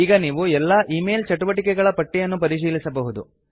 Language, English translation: Kannada, You can now view the list to check all email activity